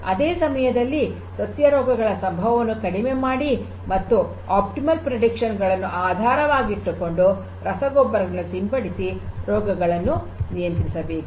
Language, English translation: Kannada, And at the same time decrease the incidences of the plant diseases and control them and consequently based on the predictions optimally use the fertilizers and spray them